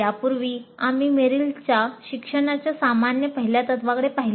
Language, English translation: Marathi, Earlier to that, we looked at Merrill's general first principles of learning